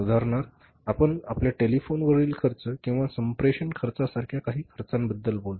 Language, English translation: Marathi, For example, you talk about some expenses like your telephone expenses or the communication expenses